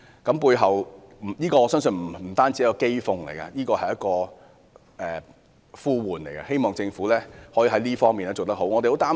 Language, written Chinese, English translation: Cantonese, 這不單是一種譏諷，亦是一種呼喚，希望政府能在這方面好好作出改善。, This is not only an irony but also a call . I hope the Government can make improvements in this regard